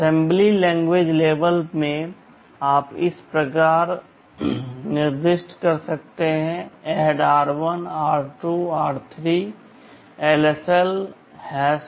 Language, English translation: Hindi, In the assembly language level you can specify like this: ADD r1, r2, r3, LSL #3